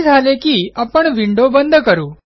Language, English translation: Marathi, Let us close this window